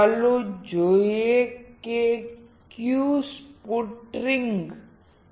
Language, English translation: Gujarati, Let us see which is sputtering